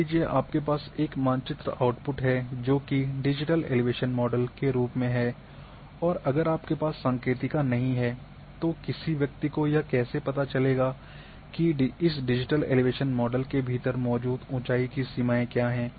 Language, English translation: Hindi, Suppose you are having a digital elevation model as a map output now if you do not have the legend how a person would know what are the range of elevations present within digital elevation model